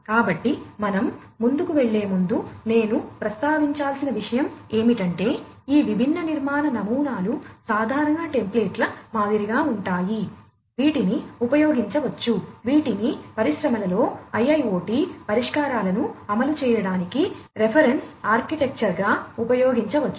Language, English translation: Telugu, So, one thing I should mention before we go any further is all these different architectural patterns are sort of like common templates, which could be used in order to, which could be used as reference architectures in order to deploy IIoT solutions in the industries